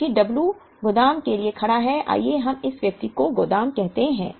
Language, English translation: Hindi, Since, w stands for warehouse let us call this person as a warehouse